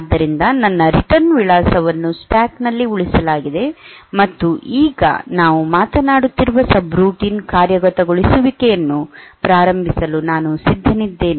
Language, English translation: Kannada, So, that my return address is saved onto the stack, and now I am ready to start execution of this of the procedure the of the subroutine that we are talking about